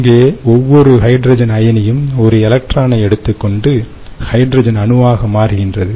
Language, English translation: Tamil, here each hydrogen ion takes one electron from that and becomes hydrogen atom